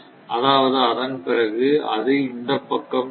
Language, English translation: Tamil, After that, it will move to this; that means this